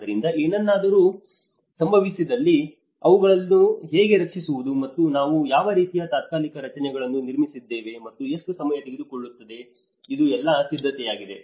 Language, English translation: Kannada, So, if something happens, how to safeguard them and what kind of temporary structures we have erect and what time it takes, this is all preparation